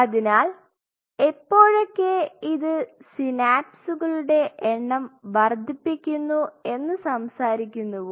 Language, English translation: Malayalam, So, whenever we talk about this increases the number of synapses